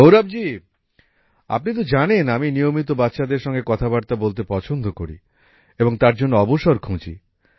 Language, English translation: Bengali, Gaurav ji, you know, I also like to interact with children constantly and I keep looking for opportunities